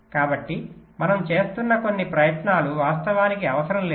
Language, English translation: Telugu, so maybe some of the efforts that we are putting in are not actually required, right